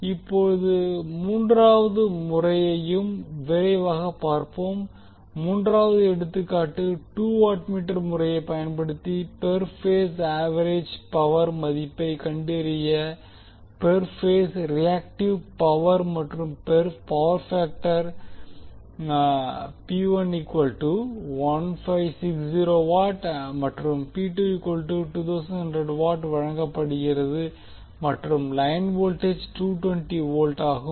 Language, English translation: Tamil, Now, let us see quickly the third method also, third example also where we need to use the two watt meter method to find the value of per phase average power, per phase reactive power and the power factor P 1 and P 2 is given and the line voltages T 220 volt